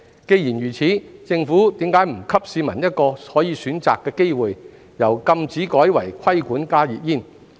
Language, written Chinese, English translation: Cantonese, 既然如此，政府為何不給市民一個可以選擇的機會，由禁止改為"規管"加熱煙？, Such being the case why does the Government not give the public a choice by regulating instead of banning HTPs?